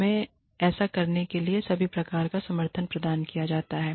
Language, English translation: Hindi, We are provided, all kinds of support, to do that